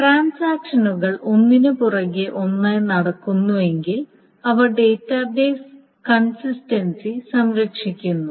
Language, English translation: Malayalam, So if transaction T1 happens, then it preserves the database consistency